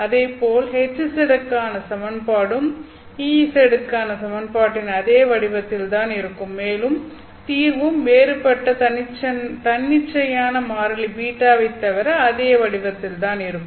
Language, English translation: Tamil, Similarly the equation for HZ will also be exactly in the same form as the equation for EZ and the solution would be then of the same form except that it may have a different arbitrary constant beta or sorry arbitrary constant B